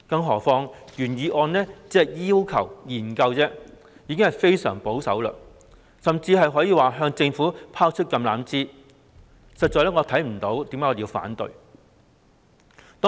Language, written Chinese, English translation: Cantonese, 何況原議案只要求作出研究，可說是非常保守，甚至是向政府拋出橄欖枝，我實在看不到有任何反對的理由。, Besides I consider the original motion very conservative as it only asks for a study on the issue and it can even be regarded as an olive branch extended to the Government . Hence I can see no reason for opposition